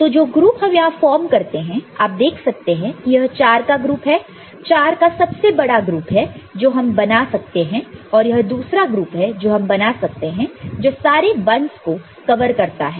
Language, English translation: Hindi, So, the groups that we can form here you can see this is the group of 4, largest group of 4 that we can form and this is another group that we can form over here which covers all the 1’s, right